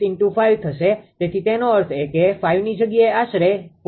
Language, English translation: Gujarati, 86 into 5 so that means, roughly 4